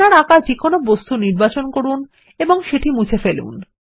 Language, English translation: Bengali, Select any object you have drawn and delete it